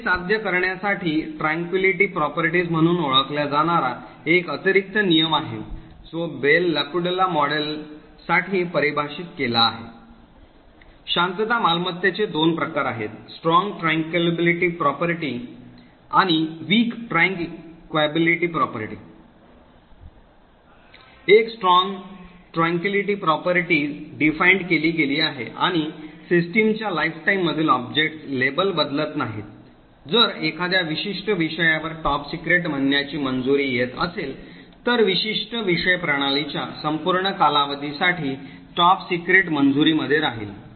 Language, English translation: Marathi, In order to achieve this there is an additional rule known as the Tranquillity properties which are defined for the Bell LaPadula model, there are two forms of the tranquillity property, Strong Tranquillity property and Weak Tranquillity property, a Strong Tranquillity property is defined that subjects and objects do not change labels during the lifetime of the system, if the particular subject is having a clearance of say top secret, then a particular subject would remain in the a top secret clearance for the entire duration of the system